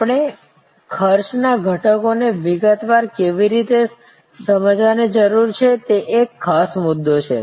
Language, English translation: Gujarati, There is one particular issue with respect to how we need to understand the cost elements in detail